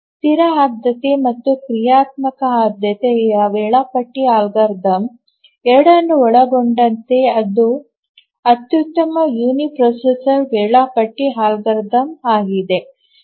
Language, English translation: Kannada, It is the optimal uniprocessor scheduling algorithm including both static priority and dynamic priority scheduling algorithms